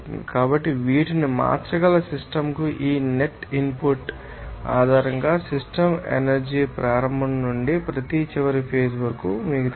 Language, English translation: Telugu, So, based on this net input to the system that may change these you know that system energy from its initial to each final stage